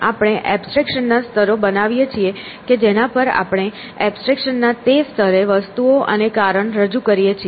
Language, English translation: Gujarati, So, we create levels of abstraction at which we represent things and reason at those levels of abstractions